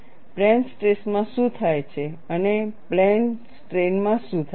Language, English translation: Gujarati, What happens in plane stress and what happens in plane strain